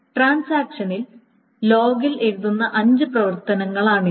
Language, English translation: Malayalam, So, these are the five operations that the transaction writes on the logs